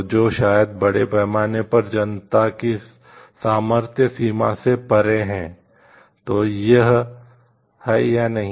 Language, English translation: Hindi, So, which maybe moves beyond affordability range of the public at large, then is it ok or not